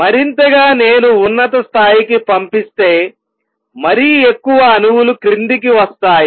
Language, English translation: Telugu, More I pump to upper level, more the more atoms come down